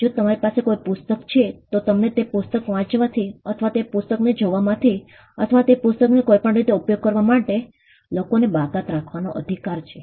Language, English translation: Gujarati, If you own a book, you have the right to exclude people from reading that book or from looking into that book, or from using that book in any way